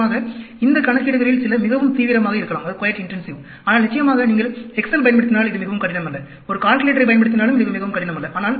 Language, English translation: Tamil, And of course, some of these calculations could be quite intensive, but of course, if you use excel, it is not very difficult; even using a calculator, it is not very difficult